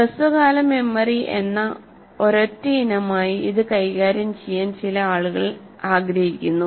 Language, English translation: Malayalam, And some people want to deal it with as a single item like short term memory